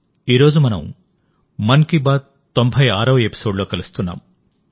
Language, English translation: Telugu, Today we are coming together for the ninetysixth 96 episode of 'Mann Ki Baat'